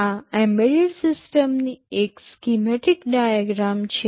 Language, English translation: Gujarati, This is a schematic diagram of an embedded system